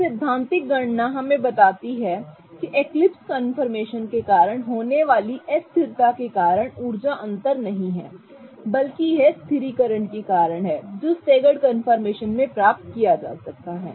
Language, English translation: Hindi, So, the theoretical calculation suggests that that the energy difference is not because of the destabilization that occurs because of the eclipsed fashion but it is rather because of the stabilization that can be achieved in the staggered confirmation